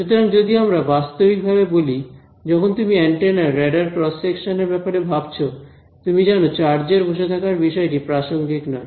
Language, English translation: Bengali, So, we practically speaking when you think of antennas radar cross section of antennas you know the issue of charge is sitting out there is not very relevant ok